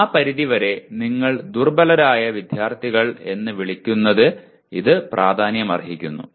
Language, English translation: Malayalam, To that extent it is particularly of importance in what you call weaker students